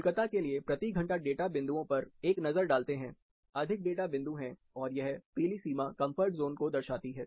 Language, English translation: Hindi, A similar look at the hourly data points for Kolkata, more number of points, this yellow boundary represents the comfort zone